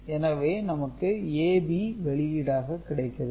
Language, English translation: Tamil, You take AB prime and A prime B out over here